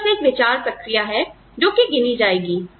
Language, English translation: Hindi, It is the thought process, that counts